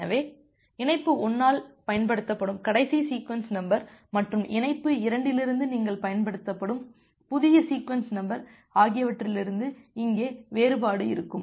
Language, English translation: Tamil, So, there would be difference here from the last sequence number which is used by connection 1 and a new sequence number that you are using from connection 2